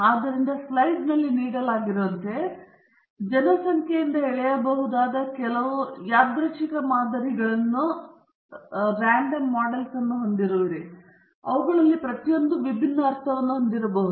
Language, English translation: Kannada, So, as given in the slide, you have many random samples that may be drawn from a population, and each of them may have a different mean